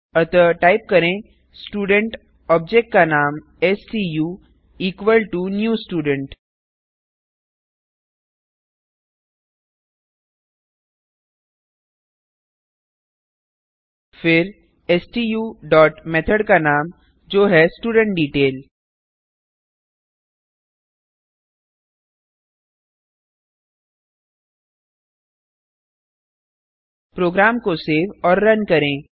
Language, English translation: Hindi, So type Student object name stu equal to new Student Then stu dot method name i.estudentDetail Save and Run the program